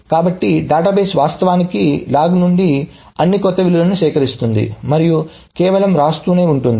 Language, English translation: Telugu, So the database actually collects all those new right values from the log and just keeps on doing the right